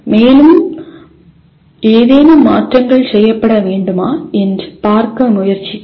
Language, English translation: Tamil, And tried to see whether any modifications need to be done